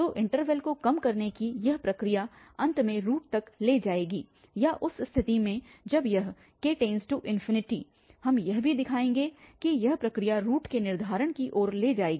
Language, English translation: Hindi, So, this process of narrowing down the interval will lead to the root at the end or in the case when this k approaches to infinity that we will also show that it this process will lead to the determination of the root